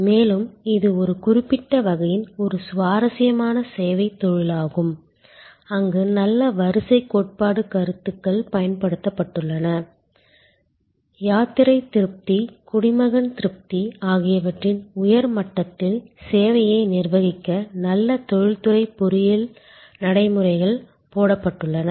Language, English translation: Tamil, And this is an interesting service vocation of a particular type, where good queuing theory concepts have been deployed, good industrial engineering practices have been put in to manage the service at a higher level of pilgrim satisfaction, citizen satisfaction